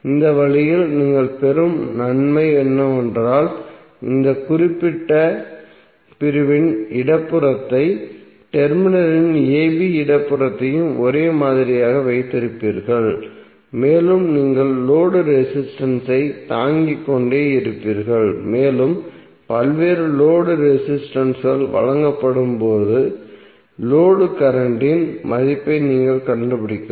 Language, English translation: Tamil, So in this way the benefit which you will get is that you will keep the left of this particular segment, the left of the terminal a b same and you will keep on bearing the load resistance and you can find out the value of load current when various load resistances are given